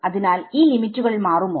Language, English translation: Malayalam, So, will any of these limits change